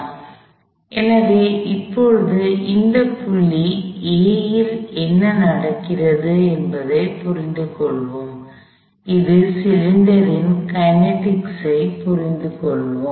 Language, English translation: Tamil, So, now let us understand what is happening here at this point A, let us understand the kinematic of this cylinder